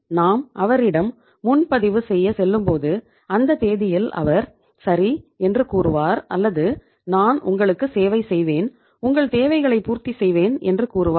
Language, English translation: Tamil, So in that case when we go to him for booking he would say okay on this date or something like that I will I will serve you, I will fulfill your requirements